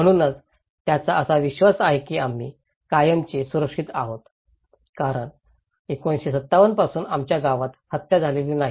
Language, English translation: Marathi, So, he believes that we are safe forever because that our town has not had a murder since 1957